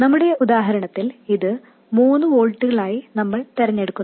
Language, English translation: Malayalam, In our numerical example we chose this to be 3 volts